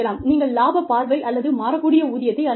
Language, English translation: Tamil, You could institute, profit sharing or variable pay